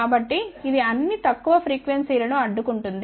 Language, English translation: Telugu, So, it is blocking all the lower frequency